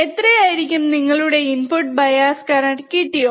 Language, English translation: Malayalam, This is how we can measure the input bias current